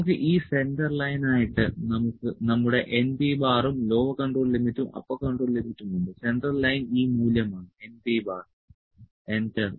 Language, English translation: Malayalam, So, we have this centre line as our n P bar and lower control limit and upper control limit, central line is this value n P bar, enter